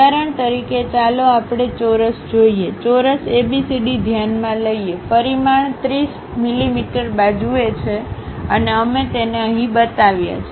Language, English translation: Gujarati, For example, let us look at a square, consider a square ABCD, having a dimension 30 mm side, we have shown it here